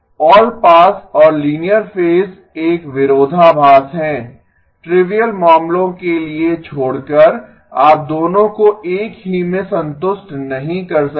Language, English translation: Hindi, All pass and linear phase is a contradiction; you cannot satisfy both of those in the same except for trivial cases